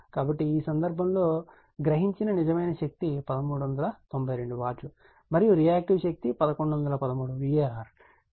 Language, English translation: Telugu, So, in this case, the real power absorbed is 1392 watt, and reactive power is 1113 var